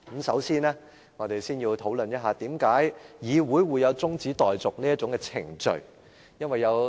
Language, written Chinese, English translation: Cantonese, 首先，我們先討論為何議會會存在中止待續議案這項程序。, First let us discuss why there is the procedure of moving an adjournment motion in our legislature